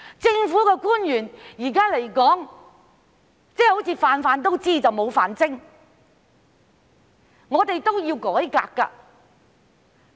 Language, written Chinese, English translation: Cantonese, 現時的政府官員好像"瓣瓣都知但無瓣精"，是需要改革的。, Currently government officials seem to know everything but good at nothing . Reform is needed